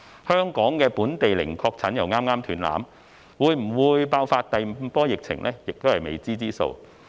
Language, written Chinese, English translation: Cantonese, 香港本地的零確診剛剛"斷纜"，會否爆發第五波疫情仍是未知之數。, The streak of zero local infections has just ended . It is still uncertain whether a fifth wave of epidemic will break out